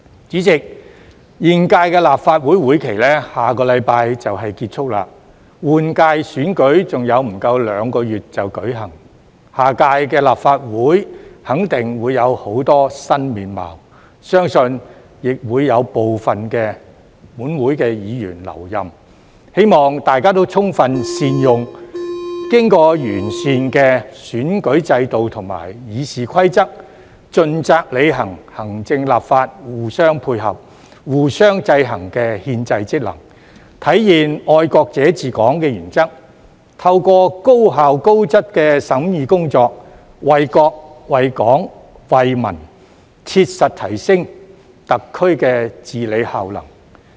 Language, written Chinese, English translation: Cantonese, 主席，現屆立法會會期在下星期便結束，換屆選舉還有不足兩個月便舉行，下屆立法會肯定會有很多新面貌，相信亦會有部分本會議員留任，希望大家充分善用經過完善的選舉制度及《議事規則》，盡責履行行政立法互相配合、互相制衡的憲制職能，體現"愛國者治港"的原則，透過高效高質的審議工作，為國、為港、為民切實提升特區的治理效能。, President the current term of the Legislative Council will end next week and the Legislative Council General Election will be held in less than two months . The Legislative Council of the coming term will surely have many new faces and I believe certain Members of this Council will be re - elected . I hope Members will make good use of the improved election system and RoP diligently fulfil their constitutional functions of ensuring cooperation and check and balance between the executive and legislature to realize the principle of patriots administering Hong Kong and practically enhance the effectiveness of the governance of SAR through effective and quality deliberation work for the sake of the State Hong Kong and the people